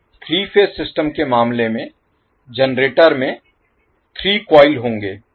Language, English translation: Hindi, So, the same way in case of 3 phase system the generator will have 3 coils